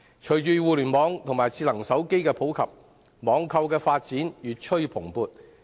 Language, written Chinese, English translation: Cantonese, 隨着互聯網及智能手機不斷普及，網購的發展越趨蓬勃。, With the increasing popularity of the Internet and smartphones online shopping business has been growing more rapidly than ever